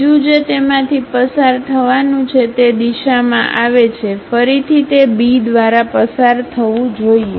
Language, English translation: Gujarati, The second one I would like to pass through that, comes in that direction, again pass through that B